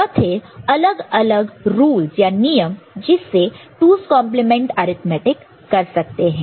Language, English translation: Hindi, So, these are the different rules that can be framed and by which 2’s complement arithmetic can be performed Thank you